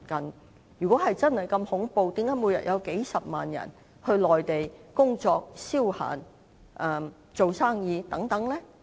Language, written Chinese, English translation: Cantonese, 但是如果真的如此恐怖，為何每天仍有數十萬人前往內地工作、消閒或做生意呢？, If they are so unkind why there are hundreds of thousands of people coming to the Mainland every day for work leisure or business